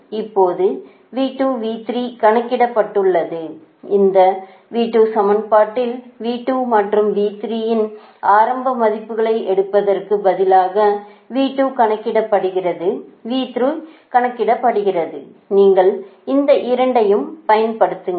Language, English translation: Tamil, now in this equation, in this equation, v two, instead of taking initial values of v two and v three, v two have computed, v three have computed both